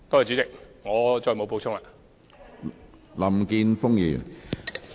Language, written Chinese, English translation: Cantonese, 主席，我再無補充。, President I have nothing to add